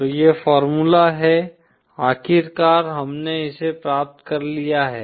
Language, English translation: Hindi, So this is the formula, finally we’ve obtained